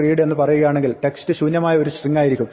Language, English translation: Malayalam, Similarly, if we try to say readline again text will be empty string